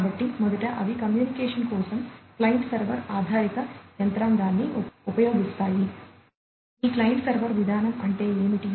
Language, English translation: Telugu, So, first of all they use the client server based mechanism for communication, which is quite well known what is the client server mechanism